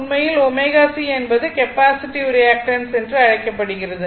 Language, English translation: Tamil, Actually omega is C is called the capacitive reactance right